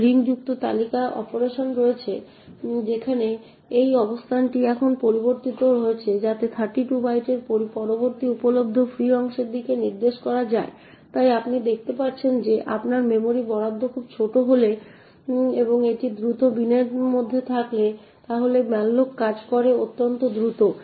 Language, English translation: Bengali, Now there is the linked list operation wherein this location is now modified so as to point to the next available free chunk of 32 bytes, so you see that if your memory allocation is very small and it happens to be in the fast bin then malloc works very quickly